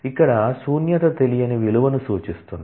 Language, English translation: Telugu, So, the null signifies an unknown value